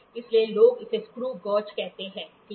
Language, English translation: Hindi, So, or people call it as screw gauge, ok